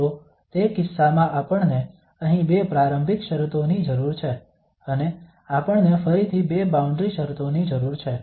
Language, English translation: Gujarati, So in that case, we need two initial conditions here and we also need, sorry two initial conditions and we need two boundary conditions again